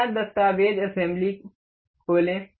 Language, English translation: Hindi, Open new document assembly